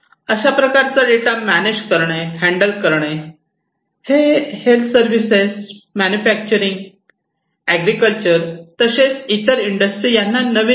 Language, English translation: Marathi, To manage and handle this huge data in health services manufacturing other industries agriculture inclusive, is not new